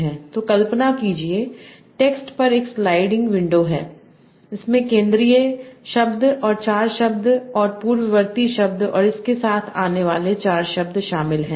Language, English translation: Hindi, So imagine a sliding window over the text that includes the central word and with four words that precede and four words that follow it